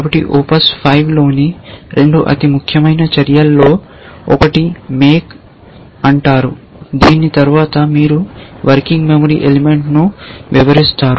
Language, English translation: Telugu, So, the 2 most important actions in ops 5 is one is called make and after this you describe the working memory element